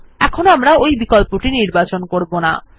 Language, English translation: Bengali, However, in this case we will not choose this option